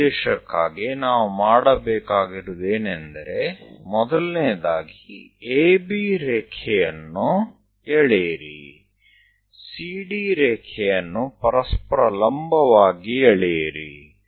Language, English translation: Kannada, For that purpose, what we have to do is, first of all, draw AB line, draw CD line orthogonal to each other